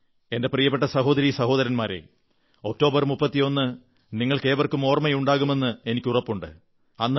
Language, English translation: Malayalam, My dear brothers and sisters, I am sure all of you remember the significance of the 31st of October